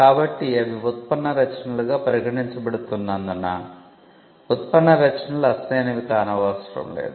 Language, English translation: Telugu, So, because they are regarded as derivative works derivative works do not need to be original